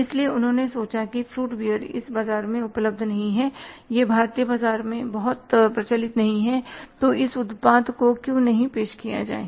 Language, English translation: Hindi, So, they thought that fruit beer is not existing in this market, it is not very prevalent in the Indian market